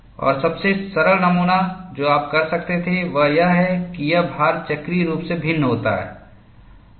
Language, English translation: Hindi, And one of the simplest modeling that you could do is, that the load varies cyclically